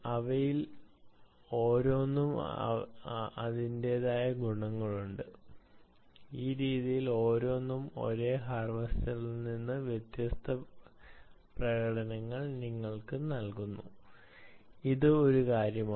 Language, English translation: Malayalam, each one of them have their own advantages and each one of them, each of these methods, actually give you ah, different performances from the same harvester